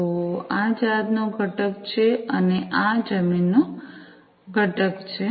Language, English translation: Gujarati, So, this is this vessel component and this is this land component